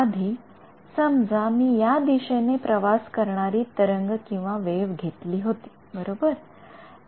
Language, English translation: Marathi, Previously, supposing I took a wave travelling in this way right